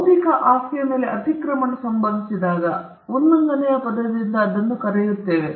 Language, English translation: Kannada, When trespass happens on an intellectual property, then we call that by the word infringement